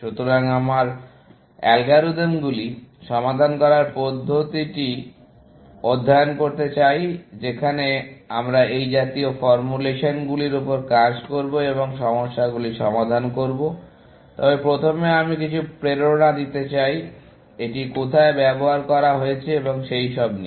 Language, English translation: Bengali, So, we want to study approaches to solving algorithms that we will work on such formulations, and solve problems, like that, essentially, but first I want to give some motivation about, where it has been used and so on